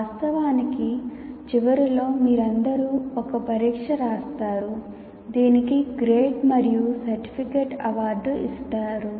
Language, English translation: Telugu, Of course, in the end, all of you will be writing an examination which should lead to the award of a grade and certificate